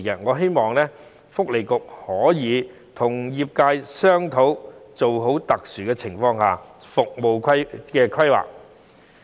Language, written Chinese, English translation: Cantonese, 我希望勞工及福利局可以與業界商討，做好特殊情況下的服務規劃。, I hope that the Labour and Welfare Bureau can discuss with the sector and has a good planning on the provision of services for special circumstances